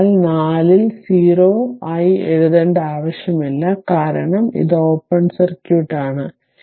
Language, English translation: Malayalam, So, no need to write 4 into 0, because this is open circuit